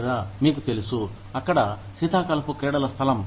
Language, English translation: Telugu, Or, you know, winter sports park over there